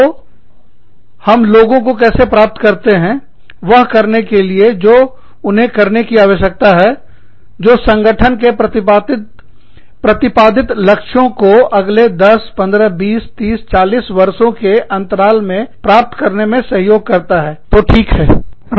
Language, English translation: Hindi, So, how do we get people, to do, what they need to do, in order to help the organization, achieve the objectives, that it has laid down, for its development, over the course of the next, 10, 15, 20, 30, 40 years